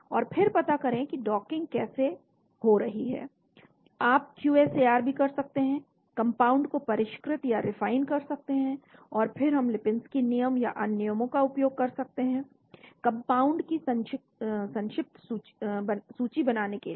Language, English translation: Hindi, And then find out how docking happens, you can also do QSAR, refine the compounds, and then we can use the Lipinski’s rule and other rules, shortlist compounds